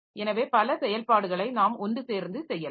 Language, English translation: Tamil, So, we can have many operations done together